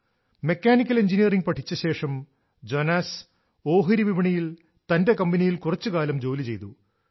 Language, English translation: Malayalam, Jonas, after studying Mechanical Engineering worked in his stock market company